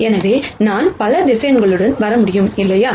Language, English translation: Tamil, So, I could come up with many many vectors, right